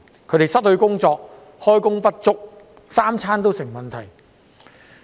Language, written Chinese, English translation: Cantonese, 他們失去工作或開工不足，三餐也成問題。, They are either jobless or underemployed and their subsistence is at stake